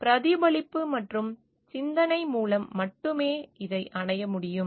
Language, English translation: Tamil, This can only be achieved through reflection and contemplation